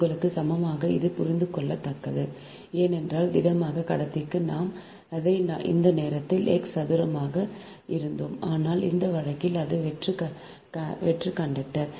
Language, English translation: Tamil, this is a understandable because for solid conductor we have made it at that time it was x square upon r square